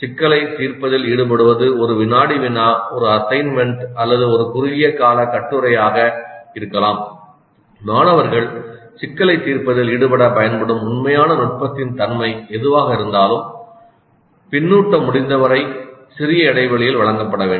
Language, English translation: Tamil, And this engage in the problem could be a quiz, an assignment or a small term paper, whatever be the nature of the actual technique use to have the students engage with the problem, feedback must be provided at as much small interval as possible